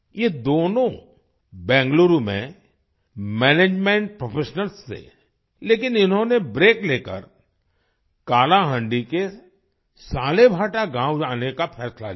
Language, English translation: Hindi, Both of them were management professionals in Bengaluru, but they decided to take a break and come to Salebhata village of Kalahandi